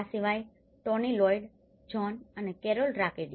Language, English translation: Gujarati, Apart from this, Tony Lloyd Jones and Carole Rakodi